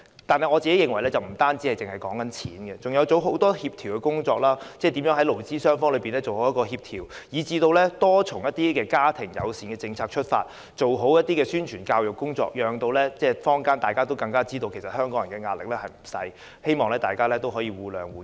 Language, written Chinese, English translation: Cantonese, 但是，我認為政府不單要付錢，還有很多協調工作要做，例如如何在勞資雙方做好協調，以至多從家庭友善政策出發，做好宣傳教育工作，讓坊間也知道香港人的壓力不小，希望大家也能互諒互讓。, Nevertheless I consider that the Government should not just provide funding but also do a lot of coordination work such as coordination between employers and employees and step up efforts in publicity and education on family - friendly policy with a view to fostering mutual understanding and accommodation among members of the community based on the awareness that Hong Kong people are under quite some stress